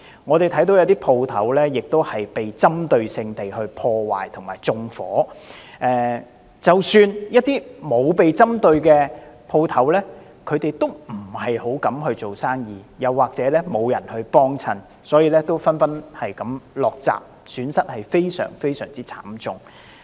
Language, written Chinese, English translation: Cantonese, 我們看到有些商鋪被針對性地破壞和縱火，即使是一些沒有被針對的商鋪，也不太敢做生意，又或是沒有人光顧，所以紛紛落閘，損失非常慘重。, As we have noticed certain shops were targeted for vandalism and arson attacks . Even those shops which are not targeted do not dare to do business or are not patronized . As a result they all have their doors closed and are suffering from heavy financial losses